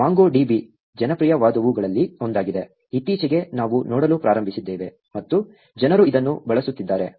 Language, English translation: Kannada, MongoDB is one of the popular ones, more recently we have started looking at and people are actually using this